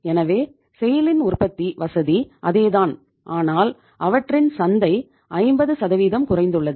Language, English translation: Tamil, So SAIL’s manufacturing facility is same but their market has gone down by 50%